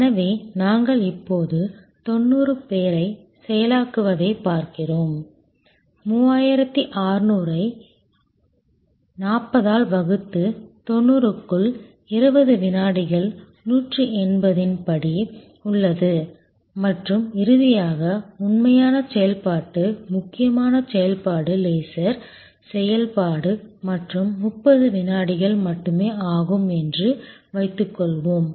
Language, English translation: Tamil, So, which means we are looking at processing 90 people now, 3600 divided by 40, 90 within have a step of 20 second 180 and number of finally, the actual operation critical operation is the laser operation and suppose that takes 30 seconds only